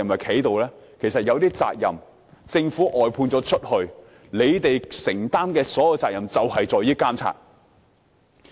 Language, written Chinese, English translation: Cantonese, 其實，政府外判一些服務後，你們須承擔的所有責任便是監察。, Actually after the outsourcing of services by the Government the only responsibility borne by DCs has to be supervision